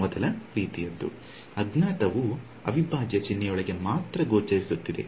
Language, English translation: Kannada, First kind right, there is the unknown is appearing only inside the integral sign